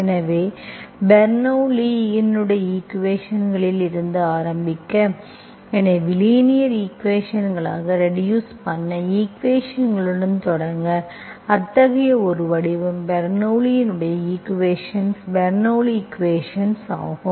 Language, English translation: Tamil, So let us start with Bernoulli s equation, so we will say, we will start with the equations that can be reduced to linear equations, one such form is the Bernoulli s equation, Bernoulli, Bernoulli s equation